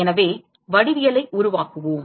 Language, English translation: Tamil, So, let us construct the geometry